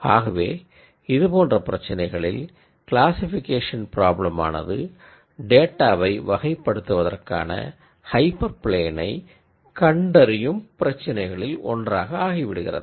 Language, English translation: Tamil, So, in cases where you are looking at linearly separable problems the classification problem then becomes one of identifying the hyper plane that would classify the data